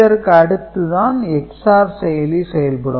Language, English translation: Tamil, So, after that another XOR operation is required